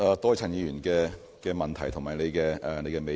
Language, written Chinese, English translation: Cantonese, 多謝陳議員的問題及你的美意。, I thank Mr CHAN for his question and appreciation